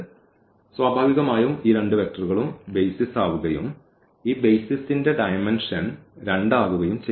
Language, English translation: Malayalam, So, naturally these two vectors will form the basis and the dimension of this basis here will be 2